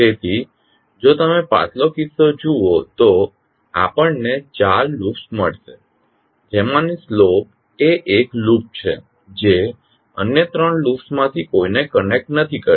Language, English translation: Gujarati, So, if you see the previous case we found 4 loops out of that the slope is the loop which is not connecting through any of the other 3 loops